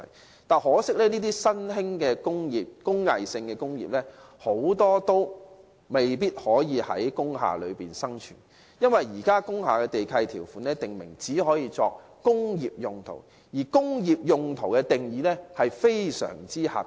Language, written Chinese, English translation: Cantonese, 然而，很可惜，這些新興的工藝性工業大多無法在工廈生存，因為現時工廈地契條款訂明，工廈只用作工業用途，而工業用途的定義卻非常狹窄。, Regrettably however most of these emerging craft industries cannot make their way into industrial buildings because the current lease conditions of industrial buildings have prescribed that industrial buildings are used for very narrowly defined industrial purposes only